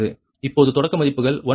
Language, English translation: Tamil, it has given starting values one plus j zero